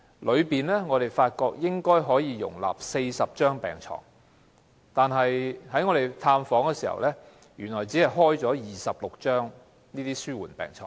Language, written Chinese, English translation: Cantonese, 我們發現，病房應該可以容納40張病床，但在探訪時卻看到病房只放置了26張紓緩治療病床。, We found that the ward could accommodate 40 beds but during our visit there were only 26 palliative care beds in the ward